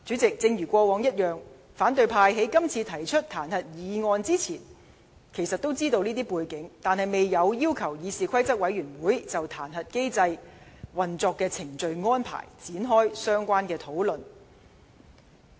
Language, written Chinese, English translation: Cantonese, 正如過往一樣，反對派議員在提出這次彈劾議案之前，也明知道這些背景，但他們未有要求議事規則委員會就彈劾機制的運作程序和安排，展開相關討論。, In this case as in past cases opposition Members are aware of such a background when they initiate the impeachment motion . But they have never requested CRoP to discuss the specific arrangements of the modus operandi of the impeachment mechanism